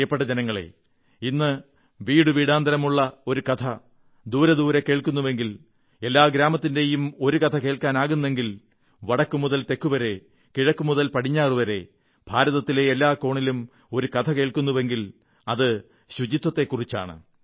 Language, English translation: Malayalam, My dear countrymen, today, if one story that rings from home to home, and rings far and wide,is heard from north to south, east to west and from every corner of India, then that IS the story of cleanliness and sanitation